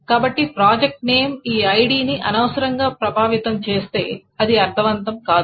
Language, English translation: Telugu, So if project name affects this ID unnecessarily, it doesn't make sense